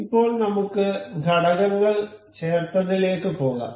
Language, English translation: Malayalam, Now, we will go to this insert component